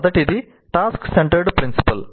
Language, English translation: Telugu, The first one is task centered principle